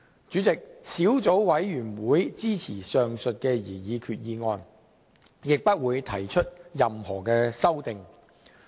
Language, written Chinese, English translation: Cantonese, 主席，小組委員會支持前述的擬議決議案，亦不會提出任何修訂。, President the Subcommittee supports the aforesaid proposed resolution and will not propose any amendment to it